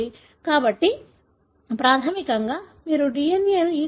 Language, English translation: Telugu, So, basically you force the DNA to get into the E